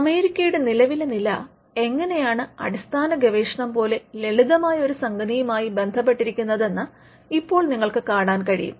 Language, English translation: Malayalam, So, you will see that this was how the current position of the United States was linked to something as simple as basic research